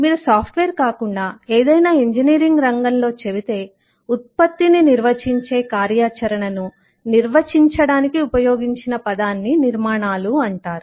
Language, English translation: Telugu, if you tell into any field of engineering other than software, you will typically find that the word used at the to define the activity, to define the product, is called constructions